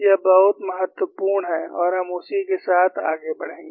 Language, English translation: Hindi, It is very important and we will leave with it